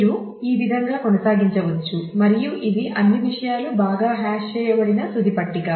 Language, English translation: Telugu, So, you can continue in this way and this is a final table where all things have been hashed well